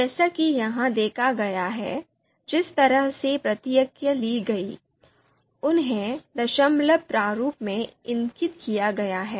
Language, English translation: Hindi, In the sense the way responses are taken here, they are you know indicated in the decimal format